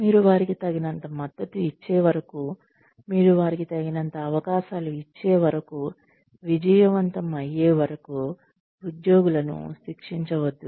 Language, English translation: Telugu, Do not punish employees, till you have given them enough support, till you have given them enough chances, to succeed